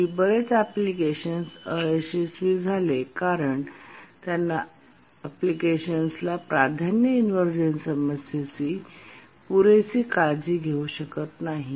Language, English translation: Marathi, Many applications in the past have failed because they could not take care of the unbounded priority inversion problem adequately